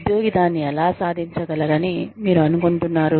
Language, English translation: Telugu, How do you think, the employee can achieve it